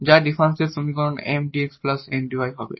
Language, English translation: Bengali, And this must be equal to this given Mdx, Ndy